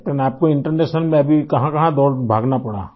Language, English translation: Hindi, Captain, internationally what all places did you have to run around